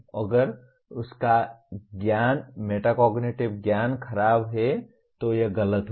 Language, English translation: Hindi, If his metacognitive knowledge is poor it will turn out to be wrong